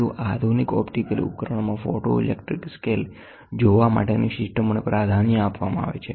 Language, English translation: Gujarati, In more advanced optical instruments of photoelectric scale viewing systems are preferred